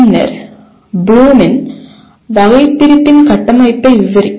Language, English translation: Tamil, Then describe the structure of Bloom’s taxonomy